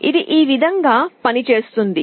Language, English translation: Telugu, This is actually how it works